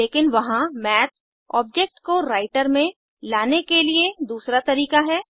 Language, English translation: Hindi, But there is another way to bring up the Math object into the Writer